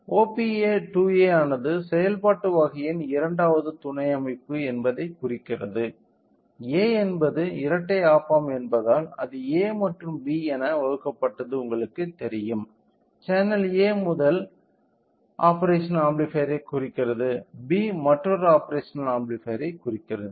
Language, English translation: Tamil, So, OPA 2A indicates this is the second subsystem on the operational type, A indicates since it is a dual op amp it has you know divided with A and B; channel A indicates the first operational amplifier, B indicates other operational amplifiers excuse me